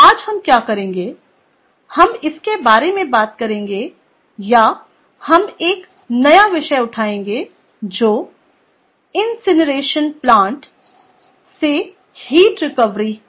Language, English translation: Hindi, today, what we will do is we will talk about at ah or we will take up a new topic, which is heat recovery from incineration plants